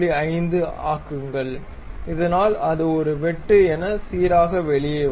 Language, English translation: Tamil, 5, so that it smoothly comes out as a cut